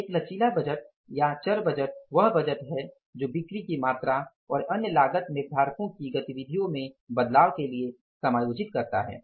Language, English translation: Hindi, A flexible budget or variable budget is a budget that adjusts for changes in sales volume and other cost driver's activities